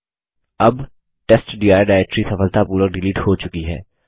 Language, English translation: Hindi, Now the testdir directory has been successfully deleted